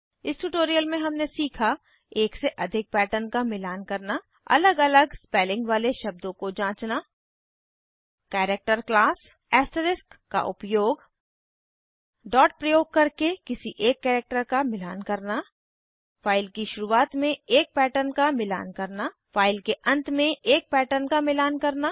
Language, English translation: Hindi, In this tutorial we learnt, To match more than one pattern To check a word that has different spelling Character class The use of asterisk To match any one character using dot To match a pattern at the beginning of the file To match a pattern at the end of the file As an assignment, List those entries that are 5 letters long and starts with Y